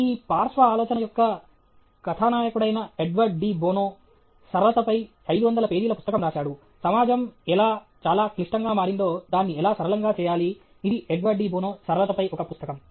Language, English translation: Telugu, Edward de Bono okay, who is a protagonist of this lateral thinking, he is written a 500 page book on simplicity, how society has become very, very complex, how do decomplexify; it is a book on simplicity, Edward de Bono okay